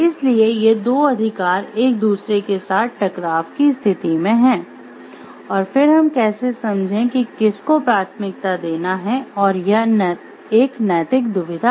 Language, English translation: Hindi, So, those two rights are coming into conflict with each other and then how do we understand which one to prioritize is an ethical dilemma